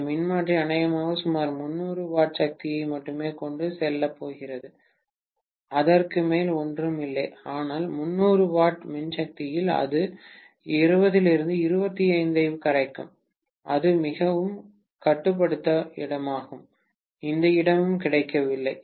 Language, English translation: Tamil, That transformer probably is going to carry only about 300 watts of power, nothing more than that, but out of 300 watts of power, maybe it will be dissipating 20 25 watts and it is a pretty constrained space, there is hardly any space available